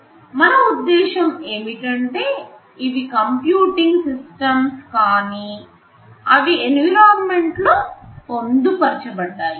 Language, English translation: Telugu, We mean these are computing systems, but they are embedded inside the environment